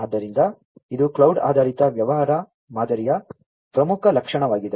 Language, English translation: Kannada, So, this is an important feature of the cloud based business model